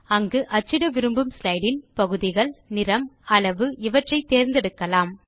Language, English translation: Tamil, Here you can choose the parts of the slide that you want to print, the print colours and the size